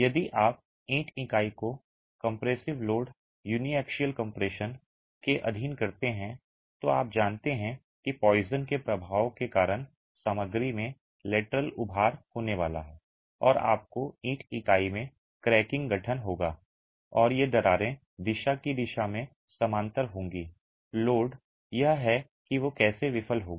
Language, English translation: Hindi, If you subject the brick unit to compressive load, uniaxial compression, then you know that due to poisons effect there is going to be lateral bulging in the material and you will have cracking forming in the brick unit and these cracks are parallel to the direction of load